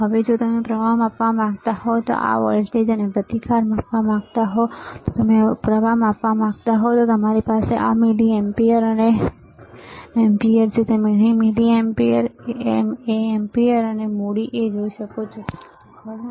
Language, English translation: Gujarati, Now, if you want to measure current, right this voltage, and resistance, if you want to measure the current, then we have this milliamperes and amperes you can see milliamperes mA amperes a capital A here, right